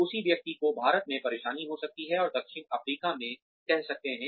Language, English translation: Hindi, The same person may have trouble in India, and say in South Africa